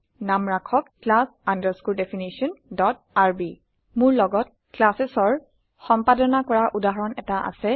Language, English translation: Assamese, Name it class definition.rb I have a working example of the implementation of classes